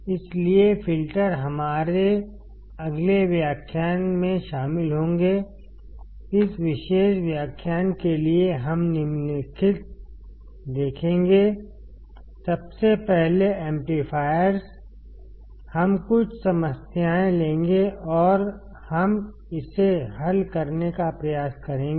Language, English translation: Hindi, So, filters would be included our next lecture, for this particular lecture we will see the following, firstly amplifiers, we will take a few problems and we will try to solve it